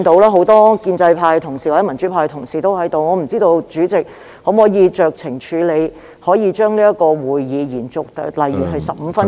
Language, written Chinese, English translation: Cantonese, 很多建制派及民主派同事均在席，我不知道主席可否酌情處理，將這個會議延續，例如15分鐘......, President as many pro - establishment and pro - democracy Members are present I wonder if you can exercise your discretion to extend the meeting by say 15 minutes